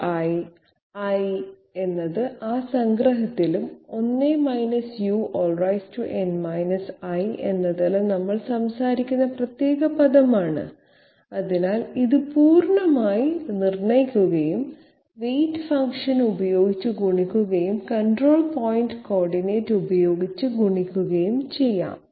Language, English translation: Malayalam, U to the power i, i is the particular term that we are talking about in that summation and 1 u to the power n i, so this way this value is completely, it can be completely determine and multiplied with the weight function and multiplied with the control point coordinate